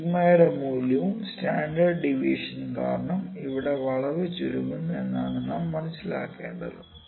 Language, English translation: Malayalam, Only thing is that because of the value of the sigma have because the value of standard deviation the curve is getting contracted here